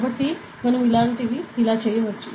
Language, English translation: Telugu, So, we can do a lot of things like this ok